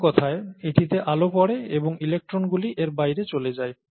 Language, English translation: Bengali, In other words, light falls on it, and electrons go out of it